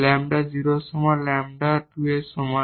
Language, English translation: Bengali, Lambda is equal to 0, lambda is equal to 2